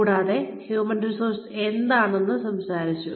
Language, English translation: Malayalam, And, we have talked about, what human resources is